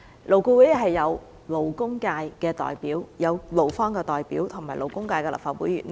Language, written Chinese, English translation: Cantonese, 勞顧會有勞工界的代表、勞方的代表及立法會勞工界的議員。, At LAB there are parties representing the labour sector and employees as well as Legislative Council Members representing the labour sector